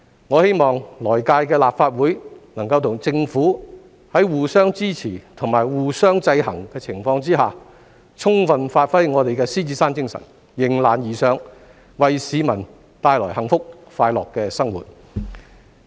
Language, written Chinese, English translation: Cantonese, 我希望來屆立法會能夠與政府在互相支持及互相制衡的情況下，充分發揮我們的獅子山精神、迎難而上，為市民帶來幸福快樂的生活。, I hope that the next - term Legislative Council and the Government will have mutual support for each other and there will be checks and balances between the two . That way they will be able to by giving full play to the Lion Rock spirit rise to challenges and enable people to lead a life of happiness and joy